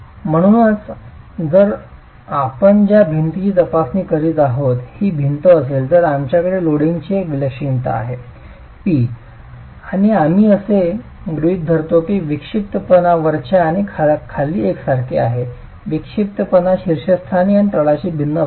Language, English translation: Marathi, So, if this is the wall we are examining, we have an eccentricity of the load acting on it, P, and this is, we assume that the eccentricity is the same at the top and the bottom